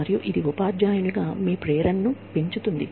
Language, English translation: Telugu, And, that enhances your motivation, as a teacher